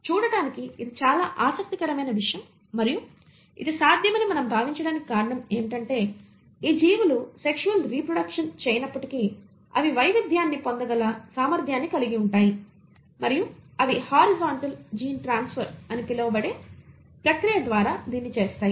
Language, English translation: Telugu, Now that is a very interesting thing to look at and the reason we think it is possible is because though these organisms do not reproduce sexually they do have a potential to acquire variation and they do this by the process called as horizontal gene transfer